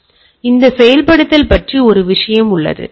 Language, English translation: Tamil, So, there is a thing of this implementation